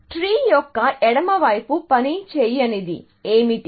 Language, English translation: Telugu, What is it that is not working in the left side of the tree